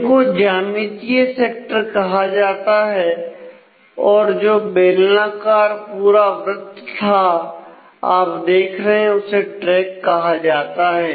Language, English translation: Hindi, So, these are called the geometric sectors and the whole of the ring that you can see the cylindrical ring that you can see is called a track